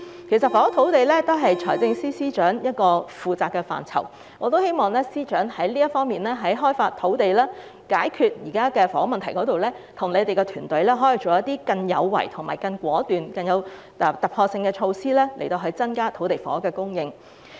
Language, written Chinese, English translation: Cantonese, 其實，房屋土地也是財政司司長負責的範疇，我希望司長在開發土地及解決房屋問題時，可以與團體探討一些更果斷有為、更具突破性的措施，以增加土地房屋的供應量。, As a matter of fact housing and land matters are also within the purview of FS I hope that when he deals with the issues of land development and housing he will explore with various groups more resolute and ground - breaking measures to increase land and housing supply